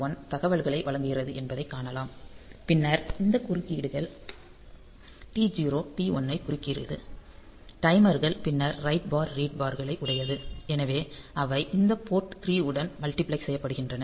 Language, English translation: Tamil, 1 transmit data; then this interrupts then T0, T1; the timers then write bar read bars, so they are also multiplexed on to these port 3